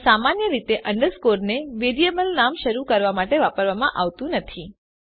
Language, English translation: Gujarati, But generally underscore is not used to start a variable name